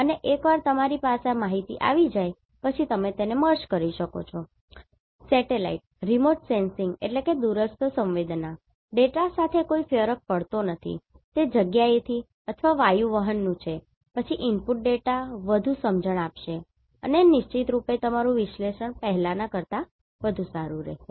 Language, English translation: Gujarati, And, once you are having this information you can merge it with the satellite remote sensing data does not matter whether it is from space or airborne, then the input data will make more sense and definitely your analysis will be better than the earlier one